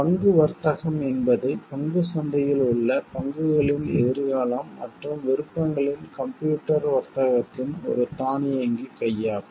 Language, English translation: Tamil, Stock trading, is an automatic hands of computer training of the stocks, futures and options in the stock market